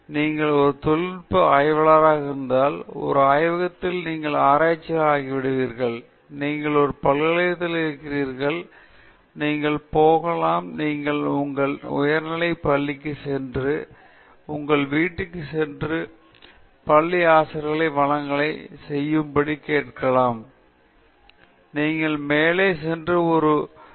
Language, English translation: Tamil, Okay so, you are a technical researcher, you are a researcher in a lab, you are in a university, you go to… maybe you go to your high school when you visit your home and your school teachers may ask you to make a presentation to say the tenth grade students or tenth standard students in your school